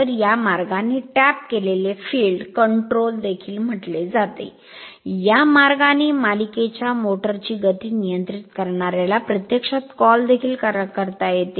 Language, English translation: Marathi, So, this way also this is called tapped field control, this way also you can control the your what you call that your control the speed of the series motor right